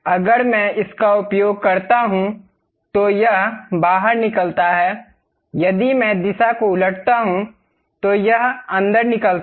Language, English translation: Hindi, If I use this one, it extrudes out; if I reverse the direction, it extrudes in